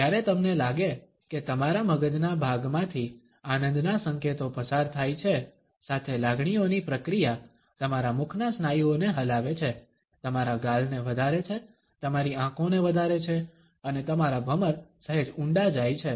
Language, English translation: Gujarati, When you feel pleasure signals pass through part of your brain with processes emotion making your mouth muscles move, your cheeks rise, your eyes rise up and your eyebrows deep slightly